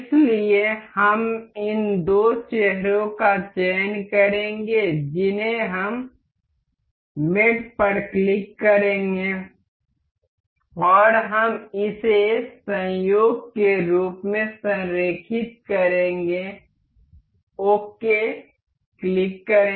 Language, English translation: Hindi, So, we will select these two faces we will click on mate and we will align this as coincident click ok